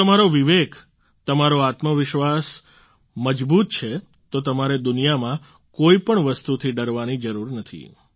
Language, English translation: Gujarati, If your conscience and self confidence is unshakeable, you need not fear anything in the world